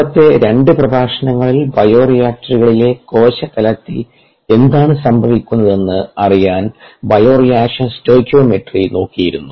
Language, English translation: Malayalam, in the previous two lectures we had looked at bioreactions documentary as one of the means of getting some insights into what is happening at the cell level in the bioreactors